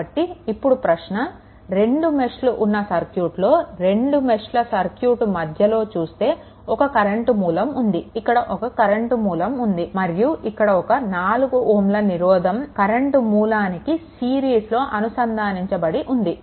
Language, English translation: Telugu, So, question is that that whenever you have a if there are 2 meshes there are 2 meshes in between, you look a current source is there, a current source is there and along with that one 4 ohm resistance is also there is in series with this current source, right